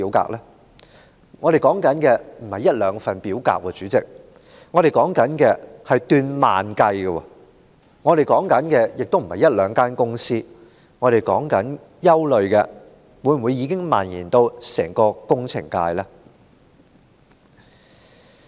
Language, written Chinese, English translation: Cantonese, 主席，我們現在說的並非一兩份表格，而是數以萬計的表格；我們說的也非一兩間公司，我們感到憂慮的是，相關問題是否已蔓延至整個工程界？, President instead of a couple of forms I am talking about tens of thousands of such forms . We are worried that instead of implicating just a couple of companies the relevant problem has spread throughout the engineering sector